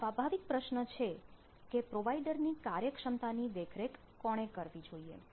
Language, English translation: Gujarati, so natural question: who should monitor the performance of the provider